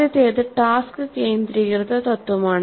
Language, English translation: Malayalam, The first one is task centered principle